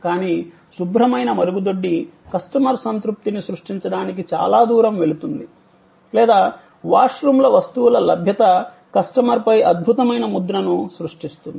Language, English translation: Telugu, But, a clean toilet goes a long way to create customer satisfaction or goods availability of washrooms create an excellent impression on the customer